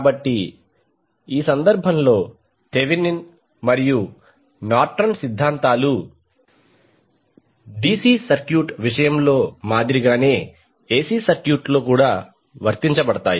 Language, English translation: Telugu, So, in this case also the Thevenin’s and Norton’s theorems are applied in AC circuit in the same way as did in case of DC circuit